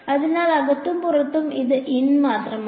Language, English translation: Malayalam, So, in and out and this is only in